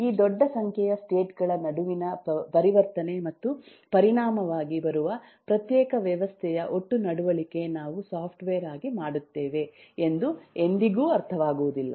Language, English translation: Kannada, makes transition between these large number of states and the total behavior of the resulting discrete system that we make as a software is never understood